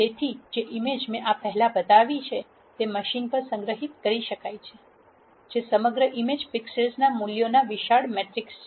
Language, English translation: Gujarati, So, the image that I showed before could be stored in the machine as a large matrix of pixel values across the image